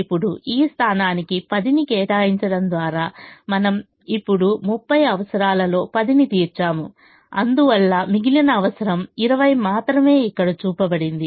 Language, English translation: Telugu, now, by allocating ten to this position, we have now met ten out of the thirty requirement and therefore the remaining requirement that has to be met is only twenty, which is shown here